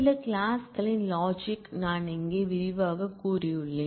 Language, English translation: Tamil, The logic of some clause, I have detailed out here